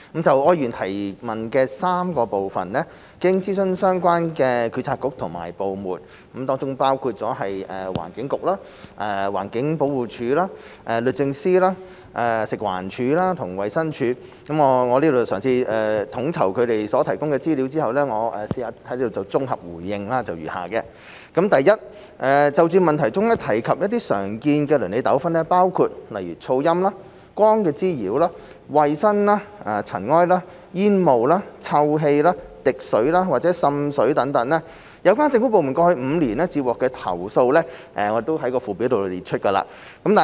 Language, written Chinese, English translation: Cantonese, 就柯議員提問的3個部分，經諮詢相關政策局和部門，包括環境局和環境保護署、律政司、食物環境衞生署和衞生署，我嘗試統籌他們所提供的資料後，綜合答覆如下：一就問題中提及的常見鄰里糾紛，包括噪音、光滋擾、衞生、塵埃、煙霧或臭氣、滴水和滲水，有關政府部門過去5年接獲的投訴數字已於附表詳列。, Having consulted the relevant bureaux and departments including the Environment Bureau and the Environmental Protection Department EPD the Department of Justice the Food and Environmental Hygiene Department FEHD and the Department of Health and coordinated their input my consolidated reply to the three parts of the question raised by Mr Wilson OR is as follows 1 Regarding the common neighbourhood disputes mentioned in the question including noise light nuisance hygiene dust fumes or effluvia water dripping and water seepage the number of complaints received by the relevant government departments in the past five years is set out at Annex